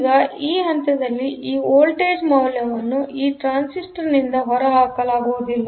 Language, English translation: Kannada, So, now this voltage value at this point cannot be discharged by this transistor